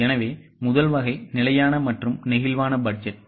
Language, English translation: Tamil, So, the first type is fixed versus flexible budget